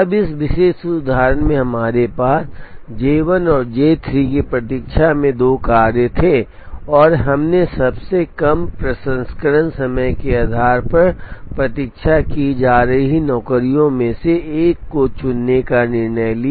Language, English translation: Hindi, Now in this particular example we had two jobs waiting J 1 and J 3, and we decided to choose one amongst the jobs waiting based on shortest processing time